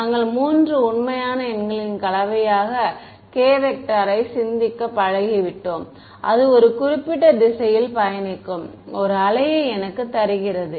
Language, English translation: Tamil, We are used to thinking of k as a combination of three real numbers and that gives me a wave traveling in a particular direction right